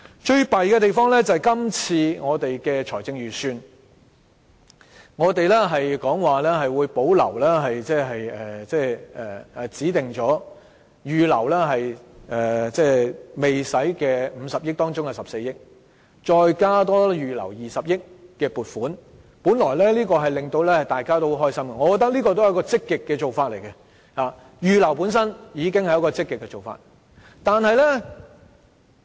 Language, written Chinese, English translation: Cantonese, 最糟糕的是，這次財政預算案會保留已預留但未動用的50億元中的14億元，再多加預留20億元的撥款，本來這應該令大家很開心，我覺得這也是積極的做法，預留款項本身已經是積極的做法。, The worst part is that on top of the 1.4 billion which is the reserved but unused portion of the 5 billion funding for education the Government also pledges in this Budget to reserve an additional 2 billion for education . This should be something to be happy about and I think this is also an proactive commitment